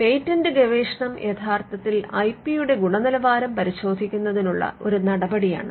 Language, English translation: Malayalam, Now, the patent research actually acts as a measure to check the quality of the IP